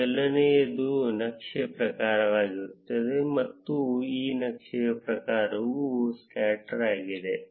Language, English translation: Kannada, The first one would be the chart type; and the type for this chart is scatter